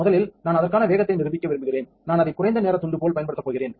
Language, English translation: Tamil, First I like to give a demonstration of the speeds for that, I am going to use as a low timing strip